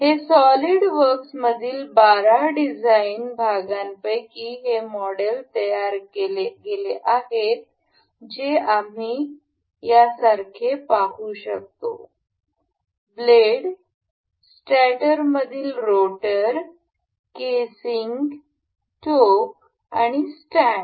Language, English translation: Marathi, This model is built out of 12 design parts in this SolidWorks that we can see it like this; the blades, the rotor in stator, the casing, the pedestal and the stand